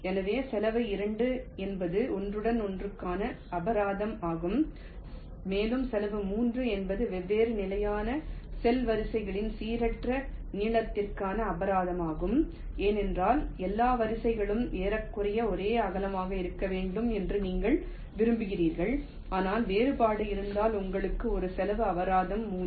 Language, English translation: Tamil, and cost three is the penalty for uneven length across the different standard cell rows, because you want that all rows must be approximately of this same width, but if there is a difference, you encore a penalty of cost three